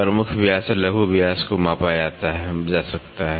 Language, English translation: Hindi, Major diameter and minor diameter can be measured